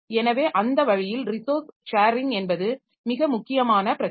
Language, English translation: Tamil, So, that way resource sharing is a very important problem